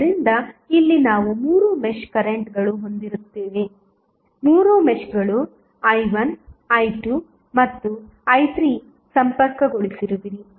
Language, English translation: Kannada, So, here we have three meshes connected so we will have three mesh currents like i 1, i 2 and i 3